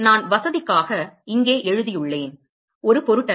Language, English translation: Tamil, I have just, for convenience sake I have written it here, does not matter